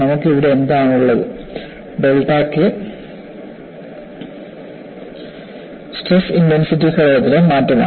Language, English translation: Malayalam, And what you have here as delta K, is the change in the stress intensity factor